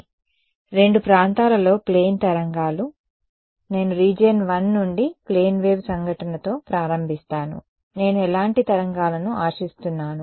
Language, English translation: Telugu, So, plane waves in two regions; I will start with a plane wave incident from region 1 what kind of waves do I expect